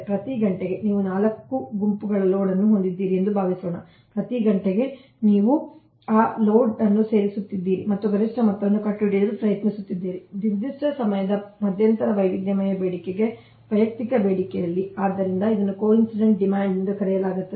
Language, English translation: Kannada, that every hour, suppose you have a four groups of load, every hour you are adding, adding those load and trying to find out what is the maximum sum right of the individual demand to the diversified demand over a specific time interval